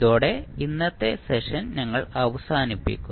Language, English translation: Malayalam, So, with this we close our today’s session